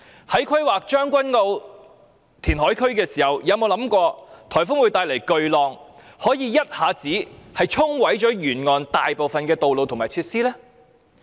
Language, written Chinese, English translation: Cantonese, 在規劃將軍澳填海區時，有否想到颱風會帶來巨浪，可以一下子沖毀沿岸大部分道路及設施？, When planning the Tseung Kwan O reclamation area has it ever come to our mind that huge waves triggered by typhoons can instantly wash out most of the roads and facilities along the coast?